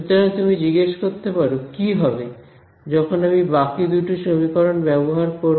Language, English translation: Bengali, So, you can ask what happens when I use the remaining 2 equations right